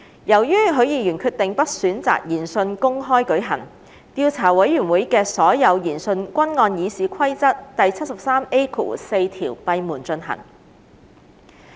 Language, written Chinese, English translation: Cantonese, 由於許議員決定不選擇研訊公開舉行，調査委員會的所有研訊均按《議事規則》第 73A4 條閉門進行。, Given Mr HUIs decision that he did not elect for hearings to be held in public all hearings of the Investigation Committee were held in private in accordance with RoP 73A4